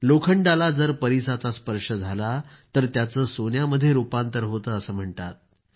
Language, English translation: Marathi, It is said that with the touch of a PARAS, iron gets turned into gold